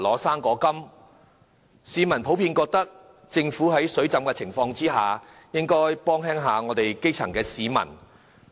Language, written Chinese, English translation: Cantonese, 市民普遍覺得政府在庫房"水浸"的情況下，應該減輕基層市民的負擔。, Members of the public generally consider that as the Treasury is flooded with cash measures should be taken by the Government to relieve the burden of the grass roots